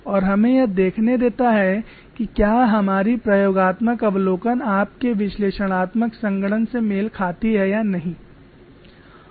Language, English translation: Hindi, Let us see whether our experimental observation matches with our analytical computation